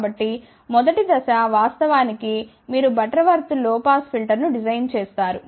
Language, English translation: Telugu, So, the first step would be actually speaking you design a Butterworth low pass filter